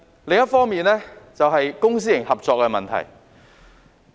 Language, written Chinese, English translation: Cantonese, 另一方面，是公私營合作的問題。, The other matter concerns public - private partnership